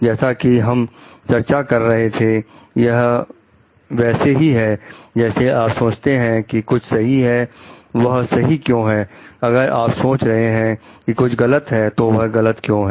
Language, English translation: Hindi, As were discussing it is like if you are thinking something to be right, why it is right, if you are thinking something to be wrong then, why it is wrong and so on